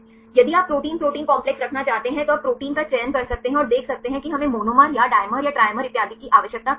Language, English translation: Hindi, If you want to have the protein protein complex, you can select the proteins and see where we need the monomer or the dimer or the trimer and so on right